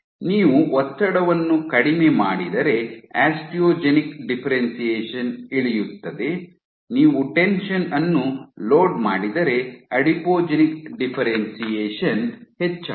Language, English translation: Kannada, Lower the tension, if you lower the tension your osteogenic differentiation drops, if you load the tension then you are Adipogenic differentiation increases